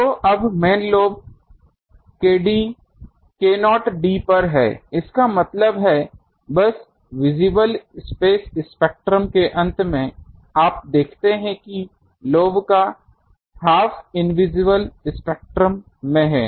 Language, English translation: Hindi, So, now the main lobe is at k not d u not k not d; that means, just at the end of the visible space spectrum, you see half of the lobe is in the invisible spectrum ok